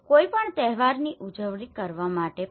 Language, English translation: Gujarati, Even to celebrate any festivals